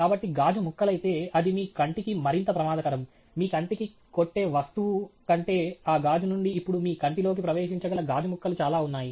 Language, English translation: Telugu, So, if the glass shatters, actually, it is even more dangerous for your eye, than simply some object hitting your eye, because that glass now has lot of glass pieces which can enter your eye